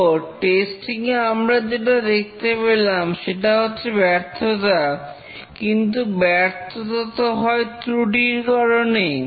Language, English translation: Bengali, So, what we observe on testing is a failure, but the failure is caused by a defect, a bug or a fault